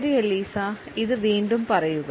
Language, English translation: Malayalam, All right Eliza say it again